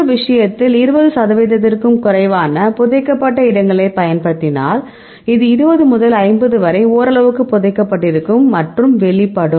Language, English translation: Tamil, In this case we use less than 20 percent buried that is very wide, and 20 to 50 as partially buried and more than will be exposed